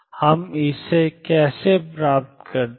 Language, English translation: Hindi, How do we get that